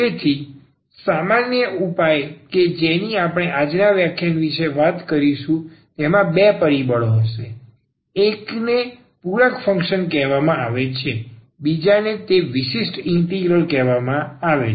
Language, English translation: Gujarati, So, the general solution which we will be talking about today’s and today’s lecture will be having two factors here one is called the complementary function the other one is called the particular integral